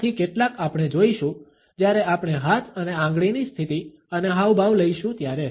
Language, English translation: Gujarati, Some of these we will look up when we will take up hand and finger positions and gestures